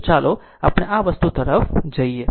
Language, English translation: Gujarati, So, let us go to the this thing